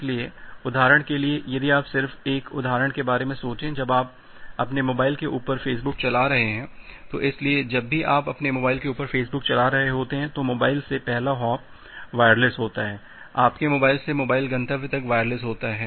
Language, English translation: Hindi, So, for example; if you just think of an example when you are doing Facebook on top of your mobile; so, whenever you are doing Facebook on top of your mobile so, the first hop is wireless, from mobile, from your mobile to mobile destination that part is wireless